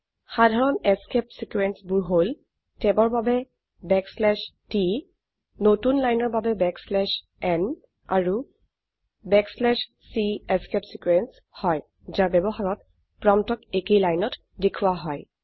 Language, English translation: Assamese, Common escape sequences include \t for tab, \n for new line and \c is a escape sequence which when used causes the prompt to be displayed on the same line